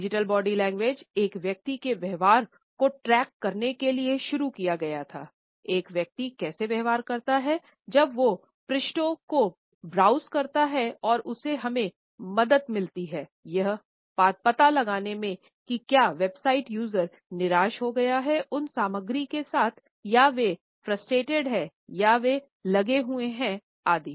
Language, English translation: Hindi, The digital body language initially is started to track a person’s behaviour, how does a person behave while browsing the pages and it helped us to know whether the website users are bored with the content or they are frustrated or they are engaged etcetera